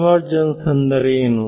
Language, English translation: Kannada, So, what is convergence